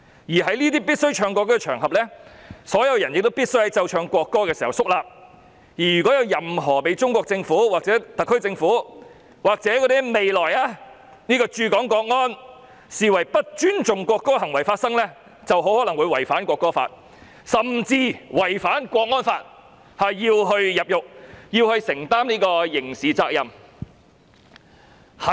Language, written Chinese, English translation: Cantonese, 而在這些須奏唱國歌的場合中，所有人必須在奏唱國歌時肅立，如果有人作出任何被中國政府、特區政府或未來駐港國安人員視為不尊重國歌的行為，很可能會因違反《國歌法》，甚至是違反港區國安法而需要承擔刑事責任或入獄。, And on such occasions on which the national anthem must be played and sung everyone must stand solemnly while the national anthem is being played and sung . Any person whose behaviour is deemed by the Chinese Government the SAR Government or the future national security personnel stationed in Hong Kong disrespectful to the national anthem may be criminally liable or be subject to imprisonment for breaching the National Anthem Law or the national security law for the Hong Kong SAR